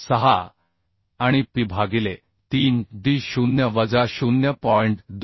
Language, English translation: Marathi, 606 and P by 3d0 minus 0